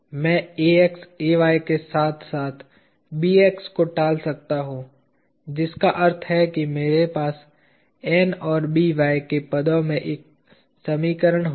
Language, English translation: Hindi, I can avoid Ax Ay as well as Bx which means I will have an equation that is in terms of N and By